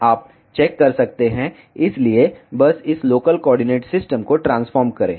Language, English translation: Hindi, So, just transform this local coordinate system